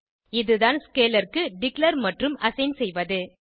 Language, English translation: Tamil, This is the declaration and assignment to the scalar